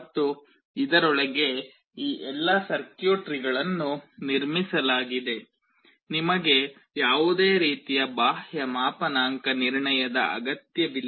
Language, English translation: Kannada, And this has all this circuitry built inside it, you do not need any kind of external calibration